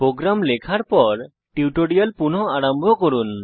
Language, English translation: Bengali, Resume the tutorial after typing the program